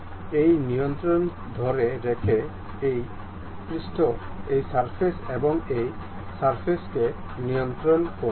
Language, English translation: Bengali, This surface and this surface control, by holding this control